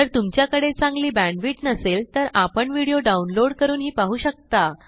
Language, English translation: Marathi, If you do not have good bandwith , you can download and watch it